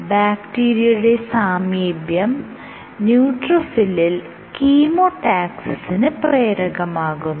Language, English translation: Malayalam, It turns out that the presence of bacteria is sensed by the neutrophil and this induces chemotaxis